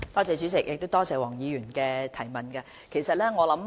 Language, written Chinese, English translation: Cantonese, 主席，多謝黃議員的補充質詢。, President I thank Dr WONG for her supplementary question